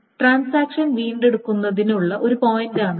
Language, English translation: Malayalam, So, this is a point of recovery of transactions